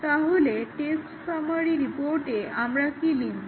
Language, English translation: Bengali, So, what do we write in the test summary report